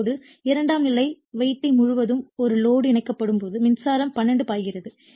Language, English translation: Tamil, Now, when a load is connected across the secondary winding a current I2 flows right